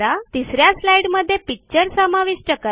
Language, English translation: Marathi, The picture gets inserted into the slide